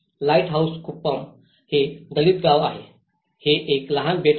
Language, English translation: Marathi, Lighthouse Kuppam is a Dalit village, its a small island